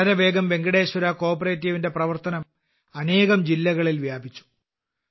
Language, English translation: Malayalam, Today Venkateshwara CoOperative has expanded to many districts in no time